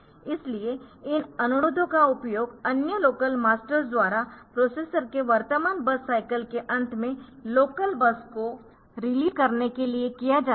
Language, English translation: Hindi, So, these requests are used by other local masters to force the processors to release the local bus at end if the processors current base mass cycle